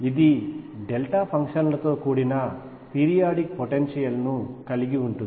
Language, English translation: Telugu, That consisted of periodic potential made up of delta functions